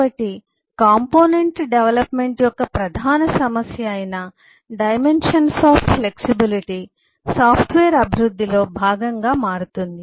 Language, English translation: Telugu, so the dimensions of flexibility at the major issue of component development become a part of the software development